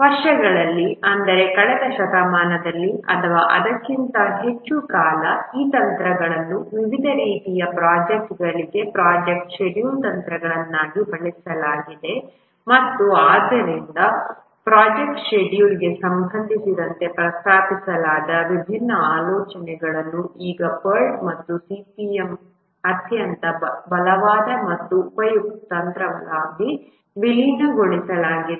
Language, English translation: Kannada, Over the years, that is over the last century or so, these techniques have been used, the project scheduling techniques for various types of projects and therefore different ideas that were proposed regarding project scheduling have now been merged into a very strong and useful technique, the POT and CPM